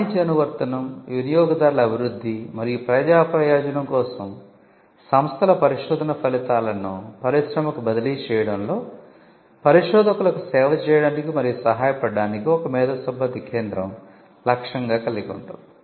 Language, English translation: Telugu, The mission of an IP centre could typically be something like this to serve and assist researchers in the transfer of institutions research results to industry for commercial application, consumer development and public benefit